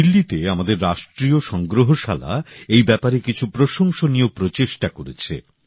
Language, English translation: Bengali, In Delhi, our National museum has made some commendable efforts in this respect